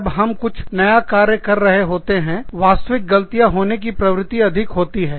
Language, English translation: Hindi, When we are doing, something new, the tendency to make genuine mistakes, is very high